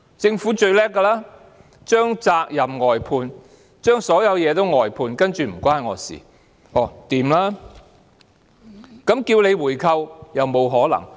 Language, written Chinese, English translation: Cantonese, 政府最擅長將責任外判，將所有東西外判，接着便表示"與我無關"。, The Government is most adept at outsourcing responsibilities . After it has outsourced everything it then says it is none of my business